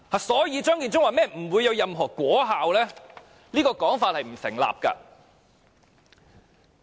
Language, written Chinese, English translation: Cantonese, 所以，張建宗說不會有任何果效，這說法並不成立。, Therefore the remark made by Matthew CHEUNG about not bearing fruit cannot hold water